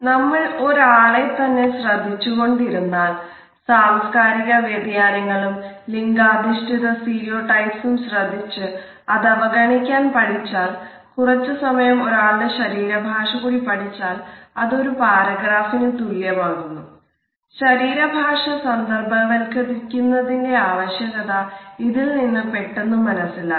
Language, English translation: Malayalam, If we keep on looking at a person and look at the cultural differences, look at the gender stereotypes and learn to avoid them and also have a significant couple of minutes to watch the body language of a person it becomes an equivalent of paragraph